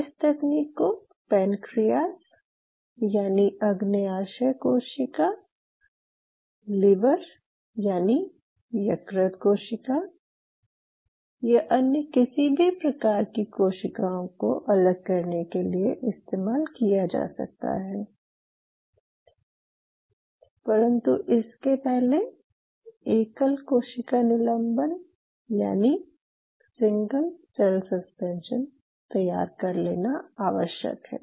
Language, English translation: Hindi, This technique can be used for cell separation of pancreatic cells this, could be used for the liver cells, this could be used for any cell type, provided there are few prerequisite to that provided you obtain a single cell suspension